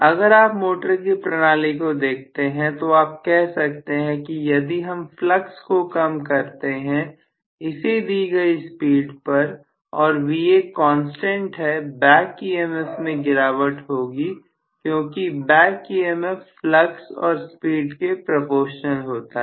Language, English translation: Hindi, If you actually look at the motor mechanism you can say if I reduce the flux at the given speed and my Va is also constant, the back EMF will drop because the back EMF is proportional to flux multiplied by speed